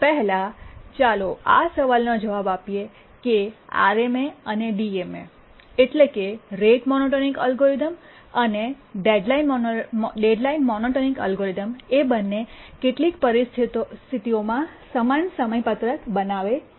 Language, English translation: Gujarati, First let's answer this question that do RMA and the DMA, rate monotonic algorithm and the deadline monotonic algorithm, both of them do they produce identical schedule under some situations